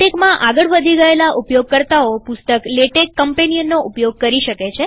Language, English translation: Gujarati, Advanced users may consult the following book, Latex companion